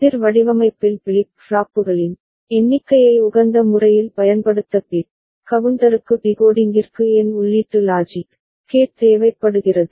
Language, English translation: Tamil, For optimal use of number of flip flops in counter design n bit counter requires n input logic gate for decoding